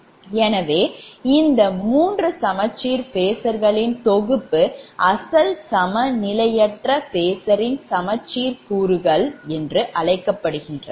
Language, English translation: Tamil, so therefore these three sets of balanced phasors are called symmetrical components of the original unbalanced phasor